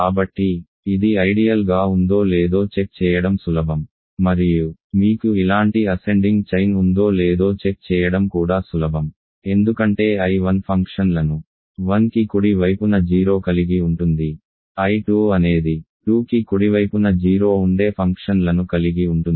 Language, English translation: Telugu, So, it is easy to check that it is an ideal and also easy to check that you have an ascending chain like this right because I 1 consist of functions which are 0 to the right of 1, I 2 consists of functions which are 0 to the right of 2